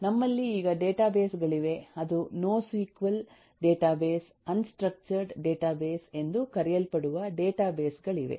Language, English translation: Kannada, we have now databases which are called say no, no, sql database, unstructured data database